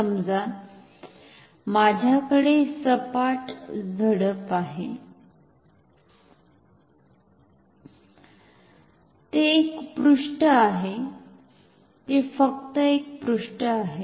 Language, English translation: Marathi, Suppose, I have a flap flat, it is a page, it is just a page